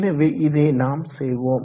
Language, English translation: Tamil, So let us do this